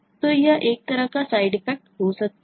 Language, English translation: Hindi, so that is the kind of side effect that we can have